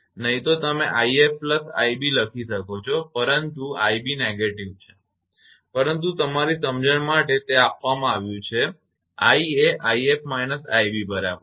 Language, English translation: Gujarati, Otherwise you can write i f plus i b, but i b is negative, but for your understanding here it is given i is equal to i f minus i b